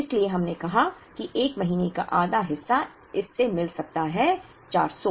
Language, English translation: Hindi, So, we said half of the 1st month can be meet with this 400